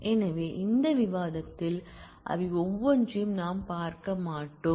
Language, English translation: Tamil, So, we will not go through each one of them in this discussion